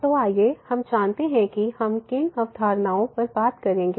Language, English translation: Hindi, So, let us go through the concepts covered